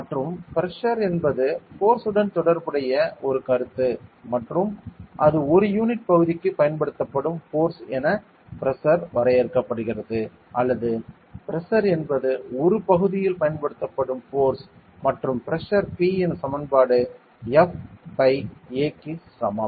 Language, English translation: Tamil, And the pressure is a concept that is related with force and it is the pressure is defined as the force applied per unit area or the pressure is the force applied over an area and the equation of pressure P is equal to F by A